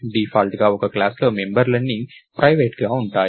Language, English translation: Telugu, By default all members are private in a class